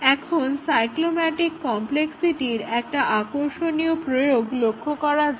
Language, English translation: Bengali, Now, let us look at interesting application of the cyclomatic complexity